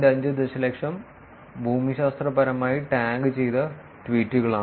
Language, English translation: Malayalam, 5 million geographically tagged tweets geo tag tweets